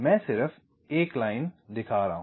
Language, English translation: Hindi, ok, i am just showing one line